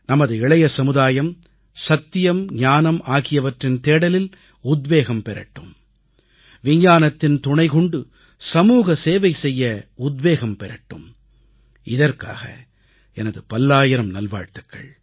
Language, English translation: Tamil, May our young generation be inspired for the quest of truth & knowledge; may they be motivated to serve society through Science